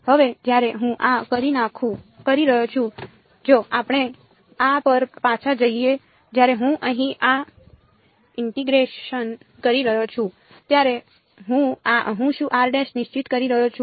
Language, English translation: Gujarati, Now, when I am doing this if we go back to this when I am doing this integration over here what am I holding fixed